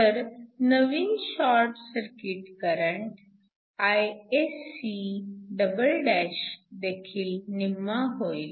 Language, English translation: Marathi, So, the new short circuit current Isc'' will also be half